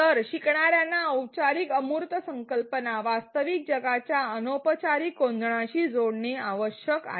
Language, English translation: Marathi, So, that the learners are required to connect formal abstract concepts with the real world informal setting